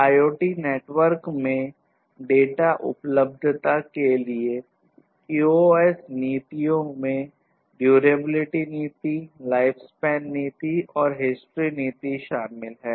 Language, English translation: Hindi, QoS policies for data availability in IoT networks include durability policy, life span policy and history policy